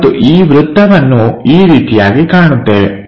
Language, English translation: Kannada, And this circle we will see it in that way